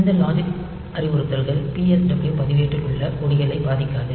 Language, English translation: Tamil, So, this logic instructions they do not affect the flags in the PSW register